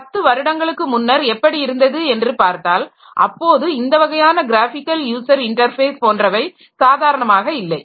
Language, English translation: Tamil, If you go back by about, say, 10 years, then at that time this type of graphical user interfaces were not that common